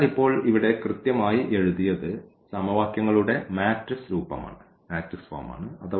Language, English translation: Malayalam, So, we can write down the system in the matrix form as well